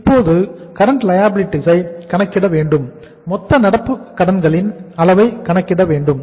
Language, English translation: Tamil, We have to now calculate the current liabilities, the total level of the current liabilities